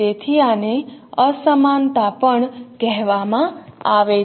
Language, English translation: Gujarati, So this is also called disparity